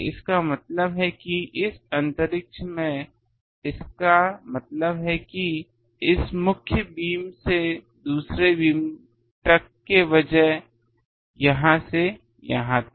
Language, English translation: Hindi, That means in this space that means from here to here in instead of this main beam another beam